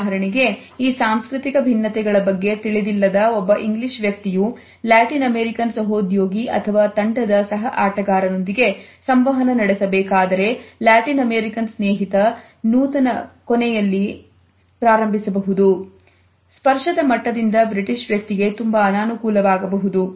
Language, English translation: Kannada, For example if an Englishman who is not aware of these cultural differences has to interact with a Latin American colleague or a team mate then the Englishman may feel very uncomfortable by the level of touch the Latin American friend can initiate at his end